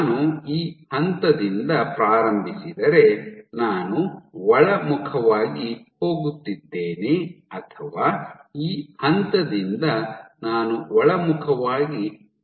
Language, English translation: Kannada, So, I am going from this point I am going inwards or this point I am tracking inwards